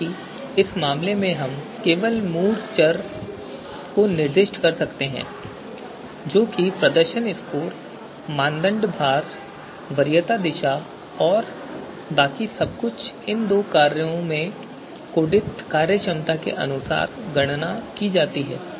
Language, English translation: Hindi, However, in this case we can just specify the you know basic variable that is performance scores, the weights of the criteria and the preference direction and everything else is computed as per the functionality coded into these two functions so let us run this